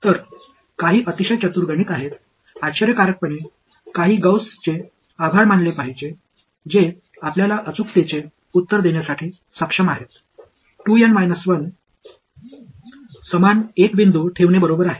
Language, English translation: Marathi, So, some there is some very very clever math, not surprisingly thanks to Gauss who is able to give you the answer to accuracy 2 N minus 1; keeping the same N points right